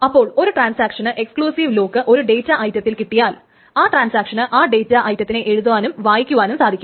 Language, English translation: Malayalam, So if a transaction obtains an exclusive lock on a data item, then the transaction can both write and read to the data item